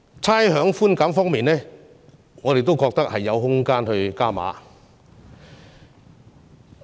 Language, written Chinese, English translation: Cantonese, 差餉寬減方面，我們也覺得有空間加碼。, Also we think there is room for further enhancing the rates concession